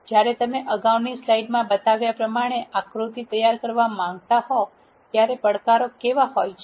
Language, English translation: Gujarati, What are the challenges that you face when you want to create figure that was shown in the earlier slide